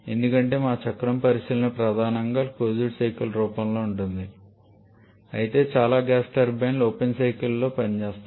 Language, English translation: Telugu, Because our cycle consideration is primarily in the form of a closed cycle though most of the gas turbines work in an open cycle form